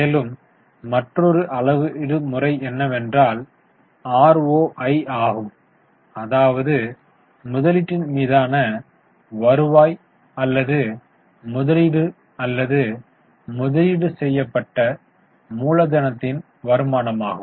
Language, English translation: Tamil, Now the other major is ROI also known as return on invested or return on investment or return on invested capital